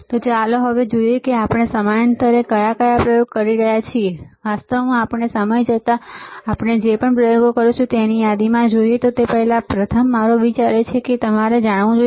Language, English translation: Gujarati, So, let us see now what are the experiments that we will be performing in a course of time, actually before we move to the list of experiments that we will be performing in the course of time, first my idea is that you should know that what are the equipment